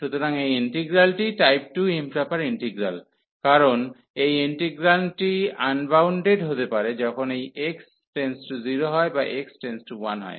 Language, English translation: Bengali, So, this integral is integral of type 2 improper integral of type 2, because this integrand integrand may become unbounded when x approaches to 0 or x approaches to 1